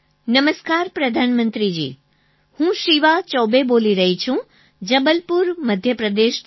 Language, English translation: Gujarati, "Namaskar Pradhan Mantri ji, I am Shivaa Choubey calling from Jabalpur, Madhya Pradesh